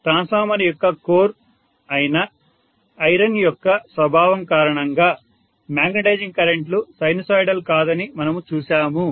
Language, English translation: Telugu, And we saw that because of the property of iron which is the core of the transformer the magnetizing currents are not sinusoidal